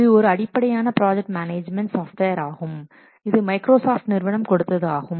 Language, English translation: Tamil, It is the basic project management software from Microsoft Corporation